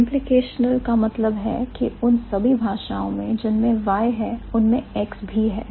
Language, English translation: Hindi, Implicational means all languages that have y also have x